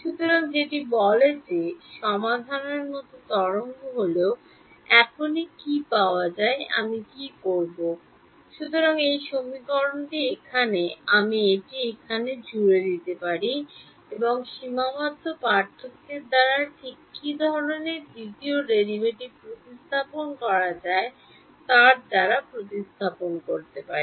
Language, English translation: Bengali, So, that says wave like solution is what is obtained right now, what do I do; so, this equation over here, I can add it over here and replaced by what kind of a second derivative can be replaced by a finite differences right